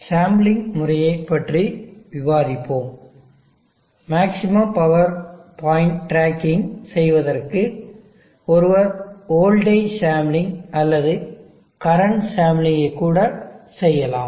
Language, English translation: Tamil, Let us discuss the sampling method, for performing maximum power point tracking, one can do voltage sampling or even the current sampling